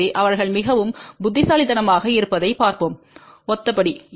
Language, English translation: Tamil, So, let us see the step wise they are very similar step